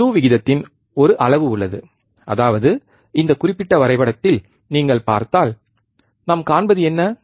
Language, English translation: Tamil, There is a measure of slew rate; that means, if you see in this particular graph, what we see